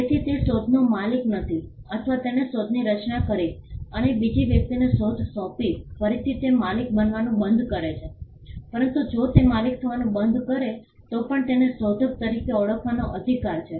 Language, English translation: Gujarati, So, he is not the owner of the invention or he created the invention and assigned the invention to another person again he ceases to be the owner, but even if it ceases to be the owner, he has the right to be recognized as the inventor